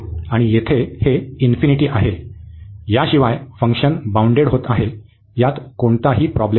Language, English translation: Marathi, And here this is the infinity, other than this there is no problem the function is bounded